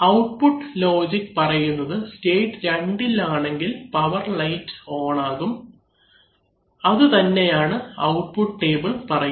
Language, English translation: Malayalam, So the output logic says that if you are in state 2 then power lights which should be on, as we have given in our output table